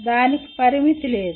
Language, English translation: Telugu, There is no limit on that